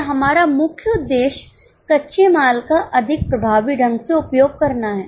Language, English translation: Hindi, And our main purpose is to use raw material more effectively